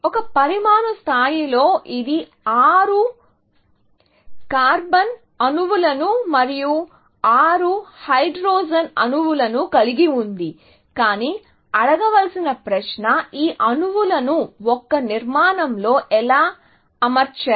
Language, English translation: Telugu, So, at a molecular level, of course, it has 6 carbon atoms and 6 hydrogen atoms, but the question to ask is; how are these atoms arranged, in a structure